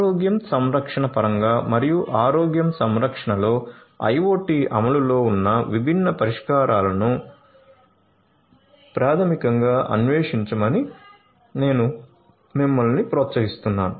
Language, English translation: Telugu, So, I would encourage you to basically explore the different solutions that are there in terms of healthcare and the IoT implementations in healthcare